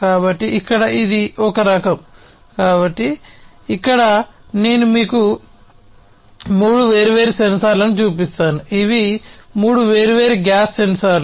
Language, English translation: Telugu, So, here this is one type of; so, here I will show you three different sensors, these are three different gas sensors right